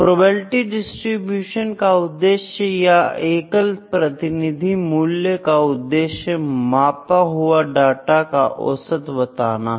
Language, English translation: Hindi, The purpose of probability distributions, purpose is a single representative value would that that tells us the average of the measure data